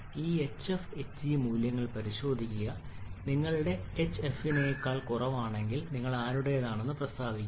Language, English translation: Malayalam, Just check this hf and hg values now if your h is less than hf then who state you are belonging to